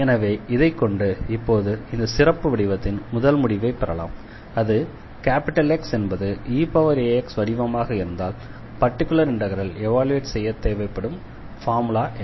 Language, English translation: Tamil, So, with this now we can derive now the first result of this special form and that is here if X is of the form e power a x, then what will be our formula to evaluate the particular integral to find a particular integral